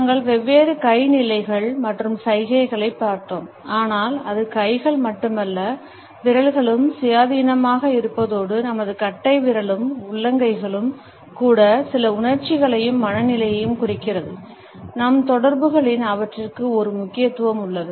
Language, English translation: Tamil, We have looked at different hand positions and gestures, but we find that it is not only the hands, but also the fingers independently as well as our thumb, even palm are indicative of certain emotions and moods and have a significance in our interactions